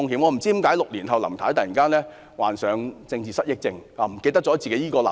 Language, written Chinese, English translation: Cantonese, "我不知道為何6年後林太突然患上政治失憶症，忘記了她的這個立場。, I wonder why six years later Mrs LAM suddenly suffers from political amnesia and forgets this position of hers